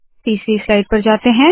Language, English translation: Hindi, Lets go to the third slide